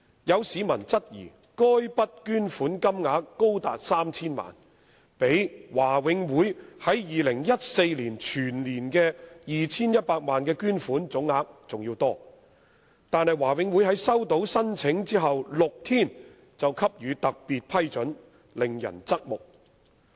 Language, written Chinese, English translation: Cantonese, 有市民質疑，該筆捐款金額高達 3,000 萬元，比華永會在2014年全年的 2,100 萬元捐款總額還要多，但華永會在收到申請的6天後便予以批准，令人側目。, Some members of the public have queried that while the said donation was of an amount as large as 30 million which was even larger than the total amount of donations ie . 21 million made by the Board in the whole year of 2014 it took the Board only six days after receipt of the application to give its approval which has raised many eyebrows